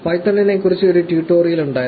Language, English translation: Malayalam, There has been a tutorial on python